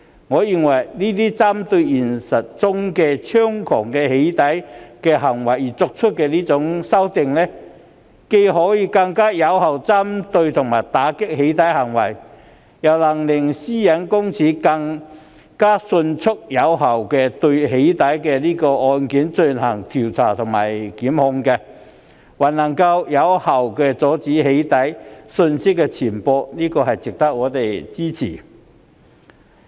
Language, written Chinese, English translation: Cantonese, 我認為，這些針對現實中猖獗的"起底"行為而作出的修訂，既能更有效打擊"起底"行為，亦能令個人資料私隱專員公署更迅速並有效地就"起底"個案進行調查及檢控，而且還能有效阻止"起底"資料的散布，因此值得我們支持。, In my opinion these amendments made in response to the rampant doxxing acts in reality can not only combat doxxing more effectively but also enable the Office of the Privacy Commissioner for Personal Data to investigate doxxing cases and institute prosecution in a more expeditious and effective manner . Moreover they can effectively prevent the spread of the doxxing contents . And so they are worth our support